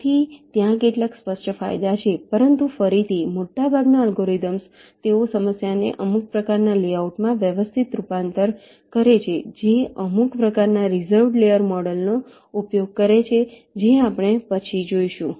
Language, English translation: Gujarati, but again, most of the algorithms they do some kind of a systematic transformation of the problem to a, some kind of a layout that uses some kind of a reserved layer model